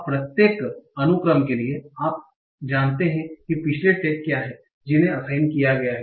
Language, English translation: Hindi, Now, for each of the sequence, you know what are the previous tags that have been assigned